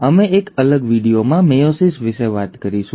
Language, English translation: Gujarati, We will talk about meiosis in a separate video